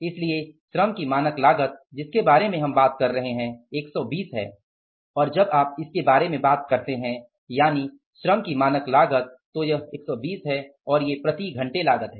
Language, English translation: Hindi, So, total cost works out as which we are talking about is the standard cost of the labour is 120 and when you talk about it means this output, standard cost of the labour is 120 and then the per hour cost